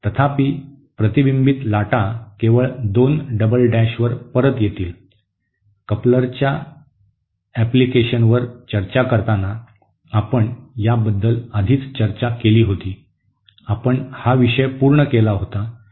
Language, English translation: Marathi, However, the reflected waves will come back only at 2 double dash, this we had already discussed you know while discussing the applications of couplers, we had covered this topic earlier